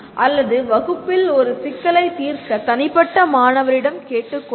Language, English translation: Tamil, Or asking individual student to solve a problem in the class